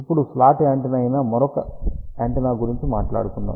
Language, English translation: Telugu, Now, let us talk about another antenna which is slot antenna